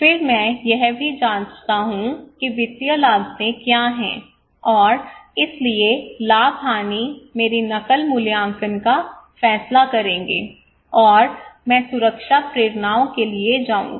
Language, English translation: Hindi, Then I also check what are the financial costs and other costs so plus/minus would decide my coping appraisal and I go for protection motivations